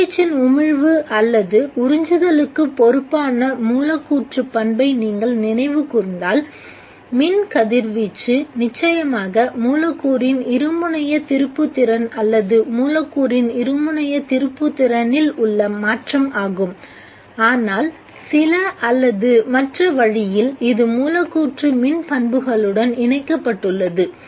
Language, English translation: Tamil, If you remember the molecular property that is responsible for emission or absorption of radiation, electrical radiation, is of course the dipole moment of the molecule or the change in the dipole moment of the molecule but in some way or the other connected to the molecular electric properties